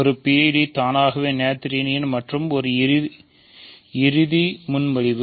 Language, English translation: Tamil, So, a PID is automatically Noetherian and one final do proposition